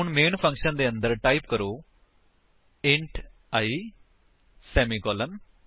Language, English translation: Punjabi, So, inside the main method , type: int i semicolon